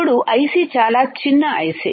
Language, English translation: Telugu, Then the IC is so small IC